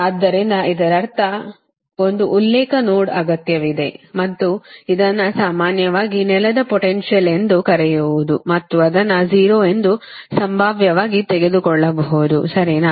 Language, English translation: Kannada, so that means this is an one reference node is required and this is your, what you call, this is your, normally, it's a ground and you can take it as a zero potential right